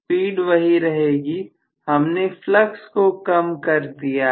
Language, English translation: Hindi, The speed will remain the same, I have reduced the flux